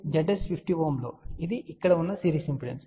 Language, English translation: Telugu, Z s is 50 ohm which is series impedance that is over here